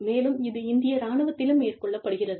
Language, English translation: Tamil, This is done, in the Indian armed forces